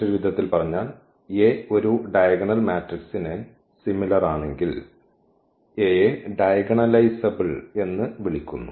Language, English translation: Malayalam, So, in other words if A is similar to a diagonal matrix, because if the point is here A is called diagonalizable